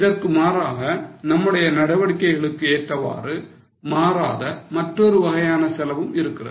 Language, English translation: Tamil, As against this, there is another type of cost which does not change with level of activity